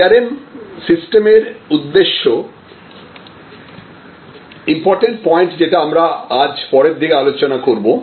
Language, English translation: Bengali, The objective of a CRM system, now a very important point we will discuss it again a little later in today's session